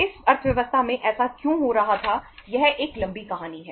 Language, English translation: Hindi, Why that was happening in this economy that is a long story